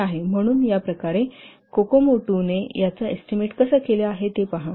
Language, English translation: Marathi, So this is so in this way see how Kokomo 2 estimates this 28